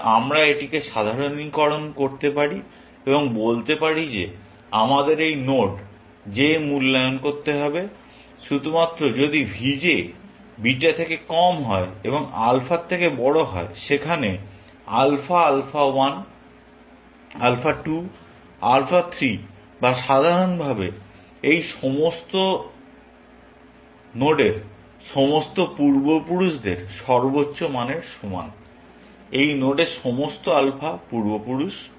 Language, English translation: Bengali, So, we can generalize this and say that we need to evaluate this node j, only if v j is less than beta and is greater than alpha where, alpha is equal to max of alpha 1, alpha 2, alpha 3 or in general, all the ancestors of this node; all the alpha ancestors of this node